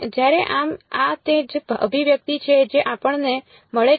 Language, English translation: Gujarati, Whereas so, this is what this is the expression that we get